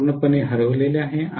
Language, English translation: Marathi, That is completely lost